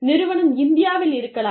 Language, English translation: Tamil, The company, may be in India